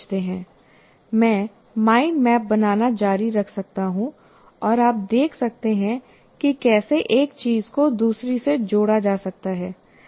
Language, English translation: Hindi, And I can keep on building a mind map and you can see how one thing is related to the other, can be related to the other